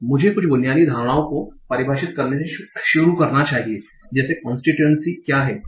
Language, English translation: Hindi, So let me start by defining some basic notions like what is constituency